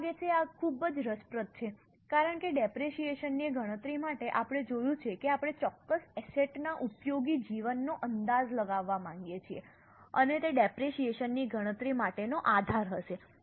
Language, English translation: Gujarati, I think this is very interesting because for calculation of depreciation we have seen we want to estimate useful life of a particular asset and that will be the basis for calculation of depreciation